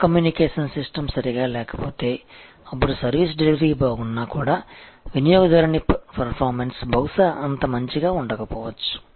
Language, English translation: Telugu, And if that communication system is not proper, then the service delivery will be good, but the customer perception maybe not that good